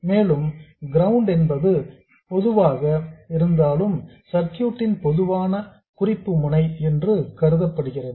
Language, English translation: Tamil, And ground here means whatever is the common reference node of the circuit